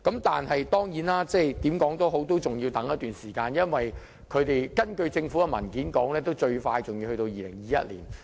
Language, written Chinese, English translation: Cantonese, 但是，無論如何，還要等待一段時間，因為根據政府的文件，最快要在2021年才能實行。, But anyway they still have to wait some time because according to the Governments paper these services can be provided only in 2021 the earliest